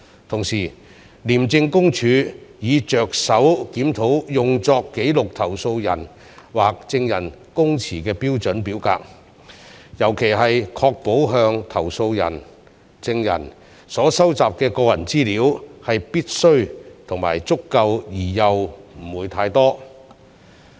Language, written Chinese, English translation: Cantonese, 同時，廉政公署已着手檢討用作記錄投訴人或證人供詞的標準表格，尤其是要確保向投訴人/證人所收集的個人資料是必須及足夠而又不會過多。, Furthermore ICAC had initiated a review on the format of the standard form used for recording the statement made by a complainant or witness particularly to ensure that the personal data collected from the complainantwitness are necessary and adequate but not excessive